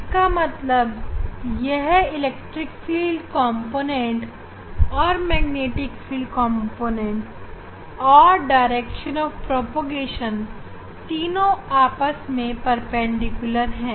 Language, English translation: Hindi, That means, this electric field component, magnetic field component and direction of propagation they are mutually perpendicular